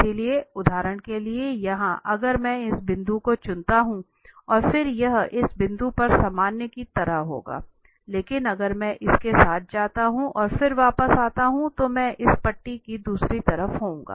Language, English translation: Hindi, So, for instance here if I pick this point and then this will be kind of normal at this point, but if I go along with this and then come back then I will be on the other side of this stripe